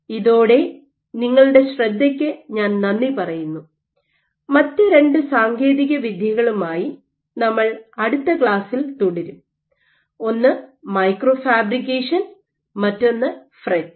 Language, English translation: Malayalam, With that I thank you for your attention and we will continue in next class with two other techniques; one is micro fabrication and the other is FRET